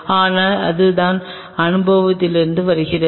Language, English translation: Tamil, But this is what comes from experience